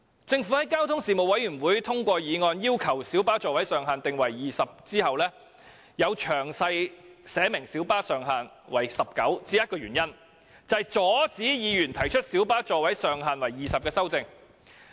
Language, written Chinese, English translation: Cantonese, 政府在交通事務委員會通過議案要求將小巴座位上限訂為20個後，在詳題寫明小巴上限為19個的原因只有一個，就是阻止議員提出將小巴座位上限提高至20個的修正案。, In view that the Panel on Transport passed a motion asking the Government to increase the seating capacity of light buses to 20 there is only one reason why the Government specifies in the long title that the maximum seating capacity of light buses will be increased to 19 that is it wants to stop Members from proposing a CSA to increase the maximum seating capacity to 20